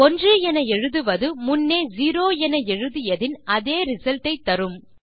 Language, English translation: Tamil, So, writing 1 will give the same result as writing 0